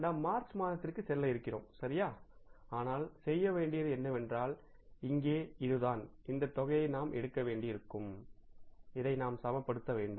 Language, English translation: Tamil, So now what we have to do is here is, that is the, say, we will have to take this amount and we have to balance this